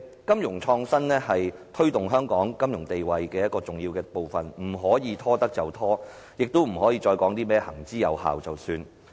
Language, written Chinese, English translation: Cantonese, 金融創新是推動香港金融地位的重要部分，不可拖延下去，亦不可以再說甚麼行之有效便算了。, Financial innovation is an important factor to strengthen the status of Hong Kong as a financial hub . Such initiatives should not be delayed and the Government should not only say that they have been working well all along and leave it at that